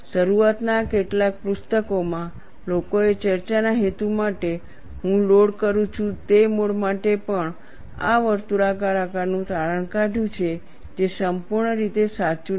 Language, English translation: Gujarati, In some of the early books people have extrapolated the circular shape even for a mode 1 loading for discussion purposes, which is strictly not correct